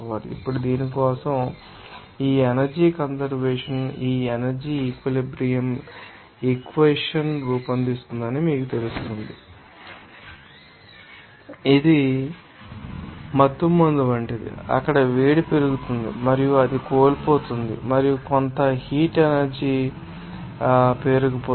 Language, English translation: Telugu, Now, ask for this you know that conservation of this energy we can you know formulate this energy balance equation as like it is anesthetic that heat is there gaining and it is losing and also you can see that there will be accumulation of some heat energy